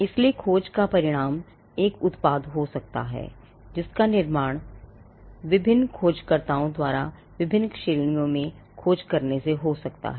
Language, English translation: Hindi, So, the results of a search could be a product that comes out of the work of different searchers who have searched different categories